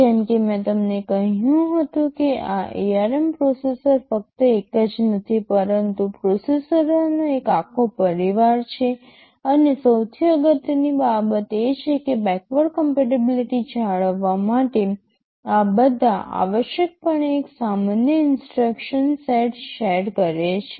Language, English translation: Gujarati, AsNow as I told you this ARM processor is not just one, but a whole family of ARM processors exist and the most important thing is that in order to maintain backward compatibility, which is very important in this kind of evolution all of thisthese share essentially a common instruction set